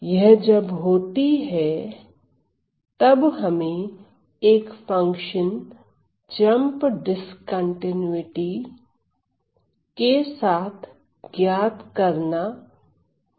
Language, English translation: Hindi, It occurs when we have to estimate a function with a jump discontinuity